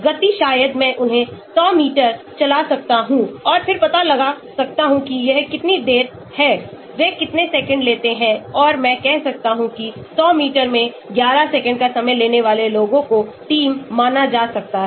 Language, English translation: Hindi, speed maybe I can make them run 100 meters and then find out how long it; how many seconds they take and I may say people who take < 11 seconds in 100 meters can be considered as the team